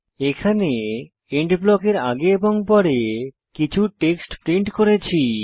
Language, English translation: Bengali, Here we have printed some text before and after END blocks